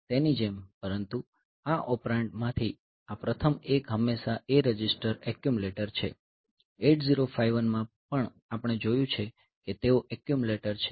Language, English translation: Gujarati, So, like that so, but this one this first one of the operand is always the A register the accumulator in 8051 also we have seen that they are accumulator